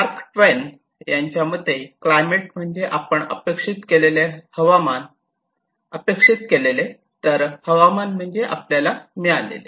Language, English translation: Marathi, Mark Twain simply tells climate is what we expect and weather it is what we get